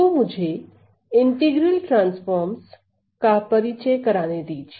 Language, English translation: Hindi, So, let me just introduce let me just introduce the idea of integral transforms